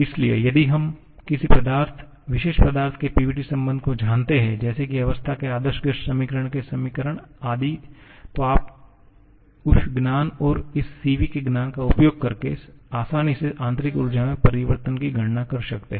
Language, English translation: Hindi, So, if we know the PVT relationship of any particular substance something like an equation of ideal gas equation of state etc you can easily calculate the changes in internal energy using that knowledge and also the knowledge of this Cv